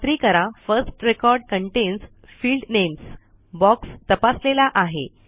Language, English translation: Marathi, Ensure that the box First record contains field names is checked